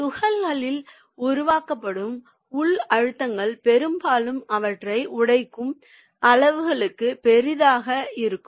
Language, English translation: Tamil, the internal stresses created in the particles are often large enough to cause them to setter